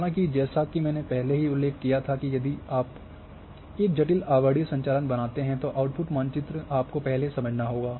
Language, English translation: Hindi, However, as I was mentioned earlier that if you create a complicated overlaying operation the output map you have to understand first